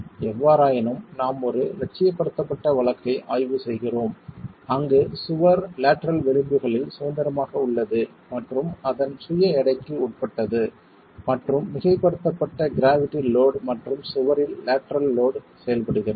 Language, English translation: Tamil, However, we are examining an idealized case where the wall is free on the lateral edges and is subjected to itself weight and there is superimposed gravity for gravity loads and there is lateral load acting on the wall